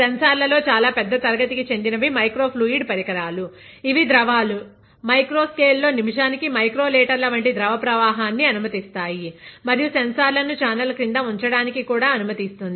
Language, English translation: Telugu, One very big class of sensors are the microfluidic devices, which allow for fluids, fluid flow in the micro scale like micro litres per minute; and also allows for sensors to be kept below the channel